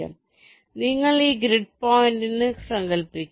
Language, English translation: Malayalam, so you just imagine this grid point